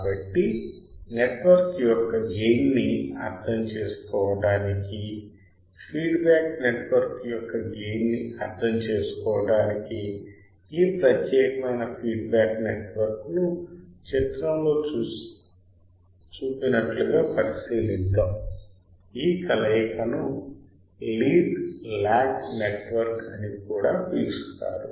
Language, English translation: Telugu, So, to understand the gain of the feedback network; to understand the gain of the feedback network let us consider this particular feedback network as shown in figure, this conversation is also called lead lag network lead lag network